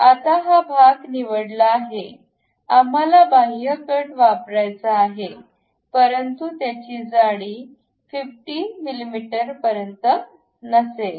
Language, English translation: Marathi, Now, this part is selected; we would like to have extrude cut, but some thickness not up to 50